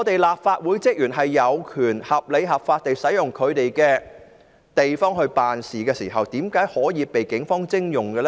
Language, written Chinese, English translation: Cantonese, 立法會職員有權合理、合法地使用他們的地方辦事，為何可以被警方徵用？, Staff of the Legislative Council Secretariat have the right to use their offices for official duties in a reasonable and lawful manner; why could their offices be taken over by the Police?